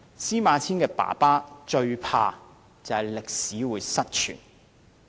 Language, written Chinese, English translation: Cantonese, 司馬遷父親最害怕的是歷史失傳。, SIMA Qians father was most frightened of historical records being lost